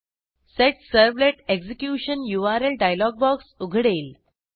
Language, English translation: Marathi, We get a Set Servlet Execution URI dialog box